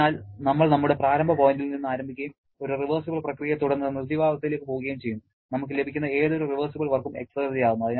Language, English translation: Malayalam, So, we are starting from our initial point and going to the dead state following a reversible process and whatever reversible work that we are getting that is the exergy